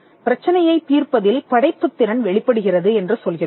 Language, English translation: Tamil, We say that it results in creativity in solving a problem